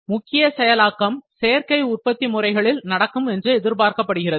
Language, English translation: Tamil, The main processing would happen with additive manufacturing